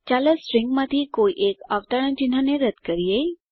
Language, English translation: Gujarati, Lets remove one of the quotes of the string